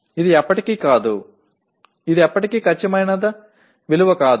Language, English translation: Telugu, It is never, it can never be an exact value